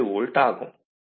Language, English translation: Tamil, 7 volt ok